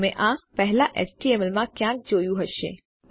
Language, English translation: Gujarati, You may have seen this somewhere before in html